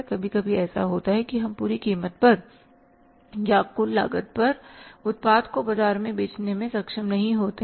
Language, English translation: Hindi, Now, sometime what happens that we are not able to sell the product in the market at the full cost or at the total cost